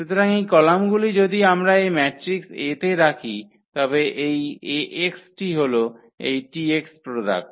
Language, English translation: Bengali, So, these columns if we put into this matrix A then this Ax will be nothing but exactly this product which is the T x